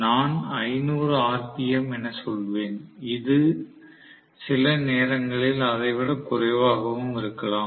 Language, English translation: Tamil, So, I would say around 500 rpm it can be sometimes less as well